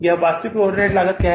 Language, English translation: Hindi, What is actual overhead cost here